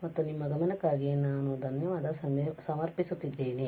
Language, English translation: Kannada, And I thank you for your attention